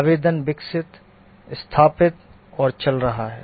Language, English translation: Hindi, The application has been developed, installed and running